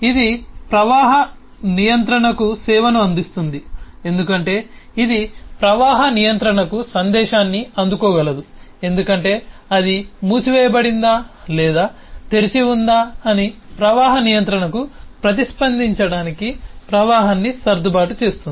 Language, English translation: Telugu, it provides service to the flow control because it can receive message from the flow control to adjust the flow, to respond to flow control as to whether it is closed or open